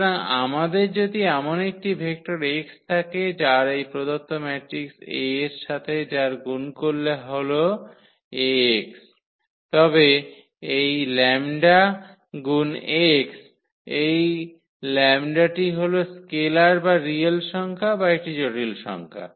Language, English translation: Bengali, So, if we have such a vector x whose multiplication with this given matrix a Ax is nothing, but the lambda time x and this lambda is some scalar some real number or a complex number